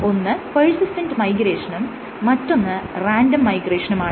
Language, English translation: Malayalam, So, what you would get is persistent migration versus random migration